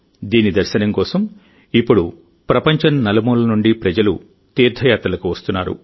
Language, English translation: Telugu, Now, for 'darshan', people from all over the world are coming to our pilgrimage sites